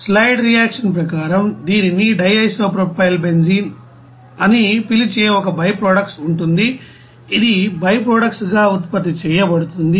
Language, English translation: Telugu, As per you know side reaction, there will be a byproduct this called di isopropylbenzene which will be produced as a byproduct and it is generated